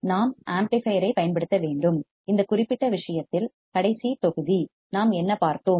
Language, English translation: Tamil, we have to use the amplifier and in this particular case, the last module; what have we seen